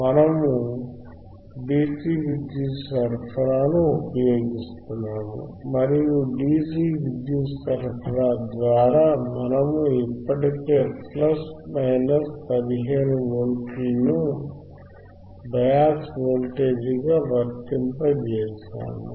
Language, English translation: Telugu, We are using the dcDC power supply, and through dcDC power supply we have already applied plus minus 15 volts as bias voltage